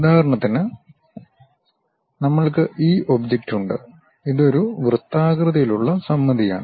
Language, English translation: Malayalam, For example, we have this object; this is circular symmetric